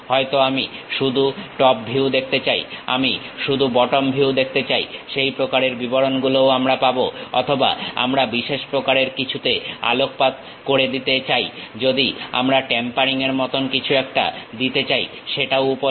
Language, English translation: Bengali, Maybe I would like to see only top view, I would like to see only bottom view, that kind of details also we will get it or we want to give some specialized focus, we want to give something like a tapering that is also available